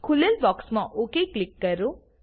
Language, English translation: Gujarati, Click OK in the box that opens